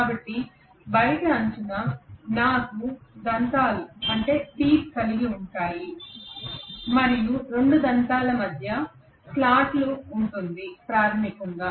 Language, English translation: Telugu, So all over the outer periphery I will have teeth and in between the two teeth is the slot basically